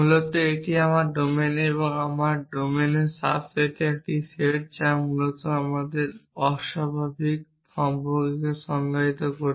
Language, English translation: Bengali, Basically, it is a set in my domain subset in my domain which defines unary relation of man essentially